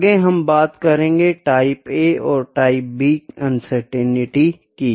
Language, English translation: Hindi, Next is Type A and Type B uncertainties